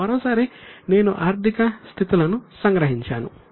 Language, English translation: Telugu, Now once again I have summarized the financial positions